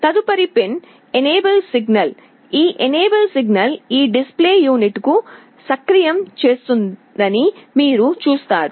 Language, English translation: Telugu, The next pin is an enable signal, you see this enable signal will activate this display unit